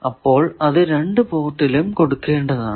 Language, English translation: Malayalam, So, it is given at both ports